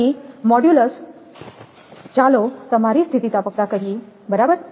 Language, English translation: Gujarati, Then modulus of lets say your elasticity right